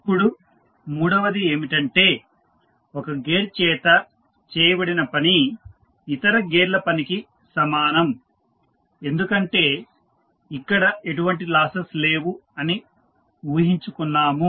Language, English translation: Telugu, Now, third one is that the work done by 1 gear is equal to that of others, since there are assumed to be no losses